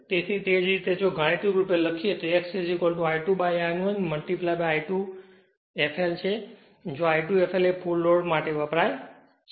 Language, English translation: Gujarati, So, same thing mathematically if you write x is equal to I 2 upon I 2 into I 2 f l where I 2 f l stands for full load